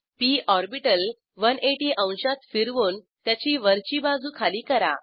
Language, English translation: Marathi, Rotate the p orbital to 180 degree to flip it upside down